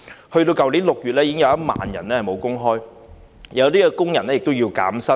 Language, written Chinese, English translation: Cantonese, 去年6月已經有1萬人沒有工作，部分工人亦要減薪。, In June last year 10 000 people had no jobs and some workers had to face a pay cut